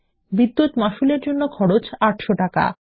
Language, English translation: Bengali, The cost for the Electricity Bill is rupees 800